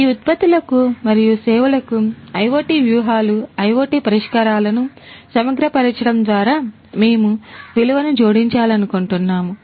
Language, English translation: Telugu, We want to add value by integrating IoT strategies, IoT solutions to these products and services